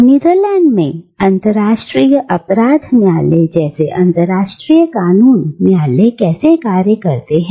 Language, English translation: Hindi, How International Law Courts like the International Criminal Court in the Netherlands, how they function